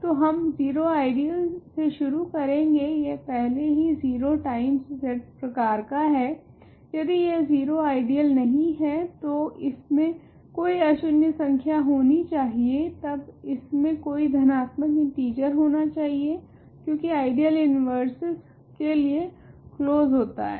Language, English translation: Hindi, So, we started with an ideal if it is the 0 ideal it is already of the form 0 times Z, if it is not the 0 ideal it must contain some non zero number, then it must contain a positive integer, because ideal is closed under the taking inverses